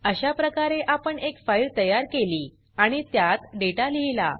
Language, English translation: Marathi, This is how we create a file and write data into it